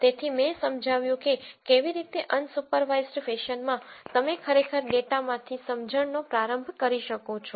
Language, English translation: Gujarati, So, I explained how in an unsupervised fashion you can actually start making sense out of data